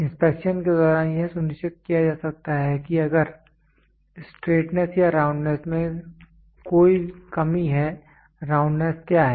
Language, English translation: Hindi, During inspection it can be ensure that if there is any lack of straightness or roundness; what is roundness